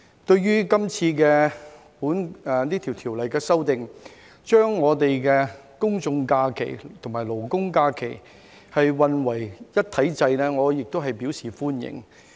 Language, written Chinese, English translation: Cantonese, 對於這次修訂法例，將公眾假期和勞工假期混為一體制，我也表示歡迎。, I welcome this amendment bill which will subject general holidays and labour holidays under the same regime